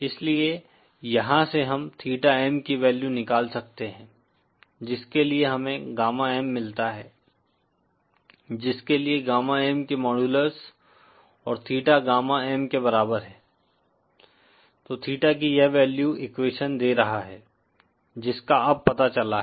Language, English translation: Hindi, So from here we can find out the value of theta M for which we get gamma M for which modular’s of gamma and theta is equal to gamma M, so that value of theta is giving this equation is found out now